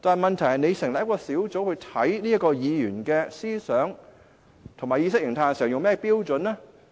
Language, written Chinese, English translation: Cantonese, 問題是，如果要成立一個委員會調查這位議員的思想和意識形態時採用甚麼標準呢？, The question is if a committee should be set up to investigate the thinking and ideology of this Member what standards will be adopted?